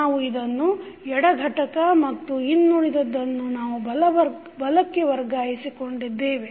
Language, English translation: Kannada, We have kept this as left component and rest we have shifted to right side